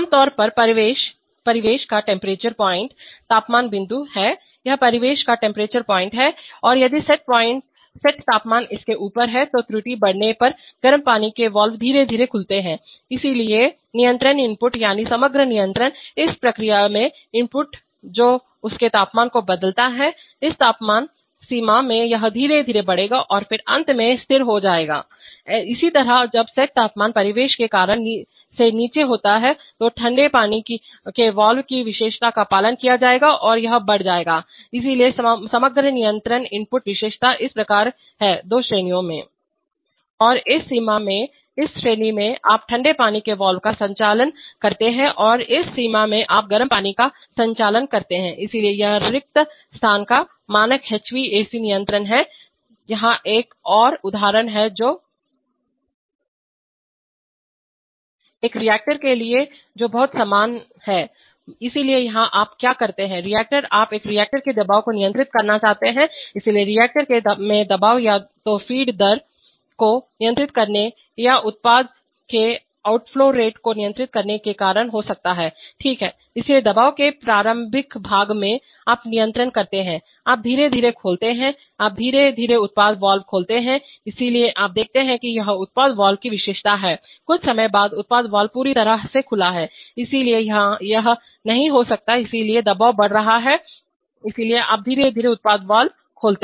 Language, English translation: Hindi, Typically speaking this is the ambient temperature point, this is the ambient temperature point and if the set temperature is above it, then as the error increases the hot water valves gradually gets opened, so the, so the control input that is, the overall control input to the to the process which changes its temperature, in this temperature range it will gradually rise and then finally will become stable, similarly when the set temperature is below ambient temperature then the cold water valve characteristic will be followed and that will rise, so the overall control input characteristic is like this, over the two ranges, And in this range in this range you operate the cold water valve and in this range you operate the hot water so this is the standard HVAC control of spaces, here is another example which is For a reactor which is very similar, so here what you do is, the reactor, you want to control the pressure in the reactor, so the pressure in the reactor could be either caused by controlling the feed rate or by controlling the product outflow rate, right, so in the initial part of pressure, you control the, you gradually open the, you gradually open the product valve, so you see this is the product valve characteristic, after some time the product valve is fully open, so it cannot be, so the pressure is increasing, so you gradually open the product valve